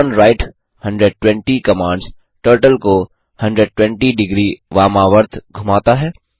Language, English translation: Hindi, turnright 120 commands Turtle to turn, 120 degrees anti clockwise